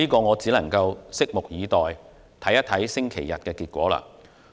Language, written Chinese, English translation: Cantonese, 我只能拭目以待，看看星期日有何結果。, I can only wait and see what will happen on Sunday